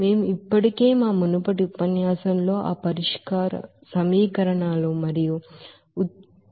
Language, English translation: Telugu, We have already described all those equations and derivation in our previous lectures